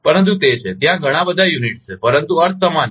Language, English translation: Gujarati, But that is, so many units are there, but meaning is same